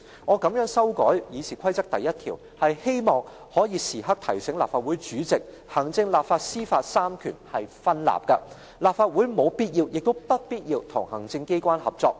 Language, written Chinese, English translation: Cantonese, "我這樣修改《議事規則》第1條，是希望可以時刻提醒立法會主席，行政、立法、司法這三權是分立的，立法會沒有必要，亦不必要與行政機關合作。, I propose to make this amendment to RoP 1 because I am keen to remind the President at all times that on the basis of the separation of executive legislative and judicial powers it is not a must and there is no need for the Legislative Council to cooperate with the Executive Authorities